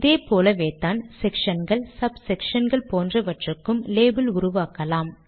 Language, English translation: Tamil, In a similar way we can create labels for sections, sub sections and so on